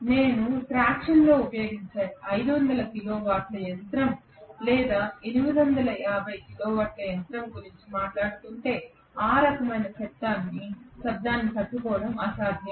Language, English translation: Telugu, If I am talking about a 500 kilo watt machine or 850 kilo watt machine like what we use in traction it will be impossible to withstand that kind of a noise